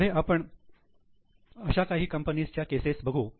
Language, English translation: Marathi, Later on we will see some cases of the companies